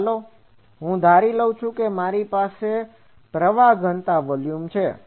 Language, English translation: Gujarati, So, let me take that I have a current density volume say